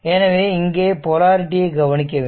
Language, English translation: Tamil, So, and so, these these polarity is marked